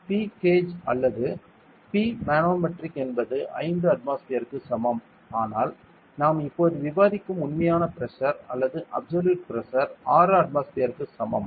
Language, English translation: Tamil, P gauge is or P manometric is equal to 5 atmospheres, but the real pressure or the absolute pressure that we will discuss now is equal to 6 atmospheres